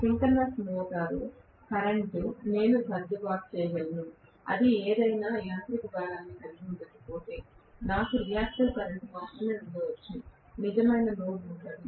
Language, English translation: Telugu, Whereas synchronous motor current I would be able to adjust in such a way that, if it is hardly having any mechanical load I may have only a reactive current, hardly having any reactive, real load